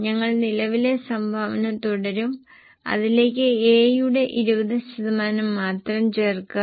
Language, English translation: Malayalam, We will continue the current contribution and to that add only 20% of A